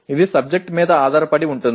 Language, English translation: Telugu, It depends on the subject